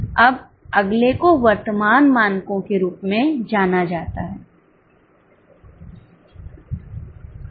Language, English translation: Hindi, Now the next one is known as current standards